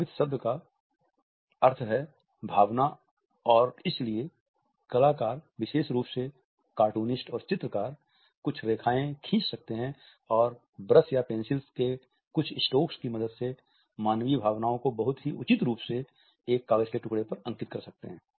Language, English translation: Hindi, The word “affect” means emotion and therefore, artists particularly cartoonists and illustrators, can draw certain lines and with a help of a few strokes of brush or pencil can draw human emotions very appropriately or a piece of paper